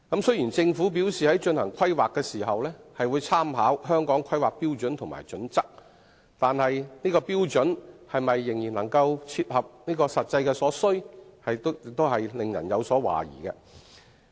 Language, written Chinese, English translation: Cantonese, 雖然政府表示在進行規劃時會參考《香港規劃標準與準則》，但有關標準是否仍然能夠切合實際所需，實在令人懷疑。, Although the Government says that it will refer to the Hong Kong Planning Standards and Guidelines HKPSG in the course of planning it is really doubtful whether the standards are still appropriate in meeting the actual needs